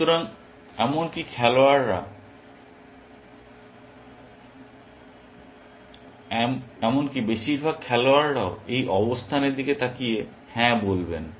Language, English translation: Bengali, So, even players, most even players will look at this position and say yes